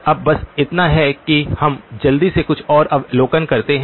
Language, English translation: Hindi, Now just so that we quickly make a couple of more observations